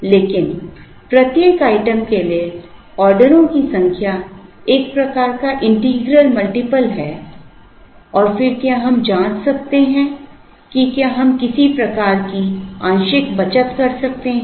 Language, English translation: Hindi, But, the number of orders for each item is a kind of an integral multiple and then can we check whether we can have some kind of partial saving